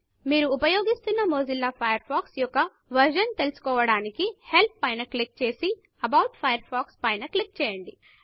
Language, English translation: Telugu, To know which version of Mozilla Firefox you are using, click on Help and About Firefox